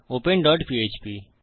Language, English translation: Bengali, open dot php